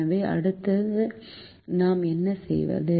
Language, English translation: Tamil, so what do we do next